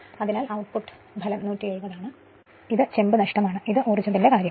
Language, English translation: Malayalam, So, this is output is 170 and this is myyour copper loss and this is my energy in terms of energy